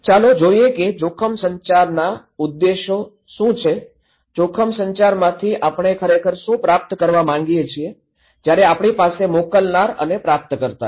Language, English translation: Gujarati, Let us look what are the objectives of risk communications, what we really want to achieve from risk communication, where here is so we have sender and the receiver